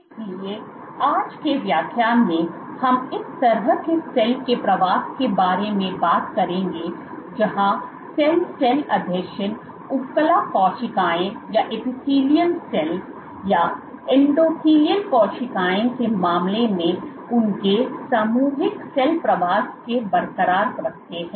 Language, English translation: Hindi, So, in today’s lecture we will talk more about this kind of migration of cell where cell cell adhesions are intact their collective cell migration in the case of epithelial cells or endothelial cells which migrated together with their cell cell adhesion intact